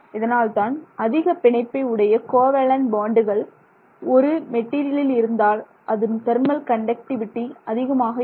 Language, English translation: Tamil, So, that is why a very strongly bonded, covalently bonded material has very high thermal conductivity